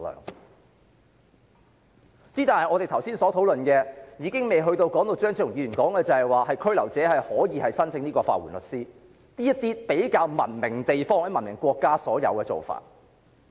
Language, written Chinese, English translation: Cantonese, 可是，其實我們剛才的討論，也尚未進入張超雄議員提出的事宜，即被拘留者可以申請法援律師的服務，這種在較文明地方或國家也有的做法。, However our discussions just now in fact did not touch on the issue raised by Dr Fernando CHEUNG ie . to allow detainees to apply for the services of legal aid lawyers a practice which is available in more civilized places or countries